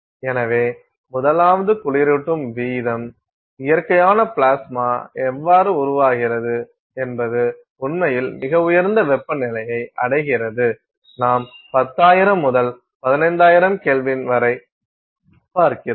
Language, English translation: Tamil, So, the first is the cooling rate, the plasma by nature of how it is formed actually attains very high temperatures; you are looking at 10,000 to 15,000K